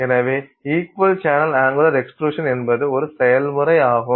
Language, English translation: Tamil, So, equal channel angular extrusion is one process by which this is done